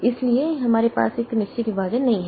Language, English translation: Hindi, So, we don't have fixed partition